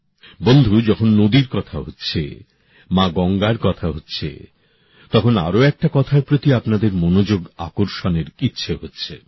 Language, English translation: Bengali, when one is referring to the river; when Mother Ganga is being talked about, one is tempted to draw your attention to another aspect